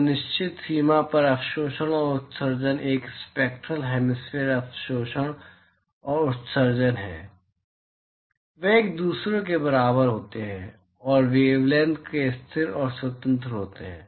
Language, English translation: Hindi, So, at certain range, the absorptivity and the emissivity is a spectral hemispherical absorptivity and emissivity they happen to be equal to each other and constant and independent of the wavelength